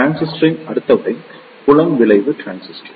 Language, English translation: Tamil, Next type of transistor is Field Effect Transistor